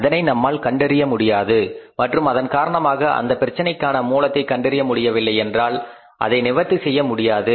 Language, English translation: Tamil, We are not able to find it out and that was the reason that if you are not able to find out the cause of any problem you cannot rectify it